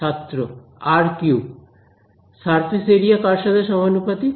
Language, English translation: Bengali, Proportional to r cube, what is the surface area proportional to